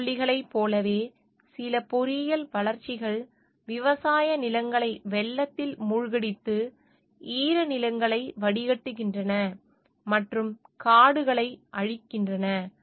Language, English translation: Tamil, Like in case of pesticides some engineering developments flood farmlands, drain wetlands, and destroy forest